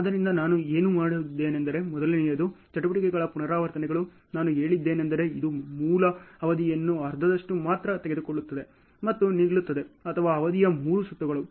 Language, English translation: Kannada, So, number one assumption what I have done is: the repetitions of the activities, I have said, it takes half of the original duration only and stop or 3 rounds of the duration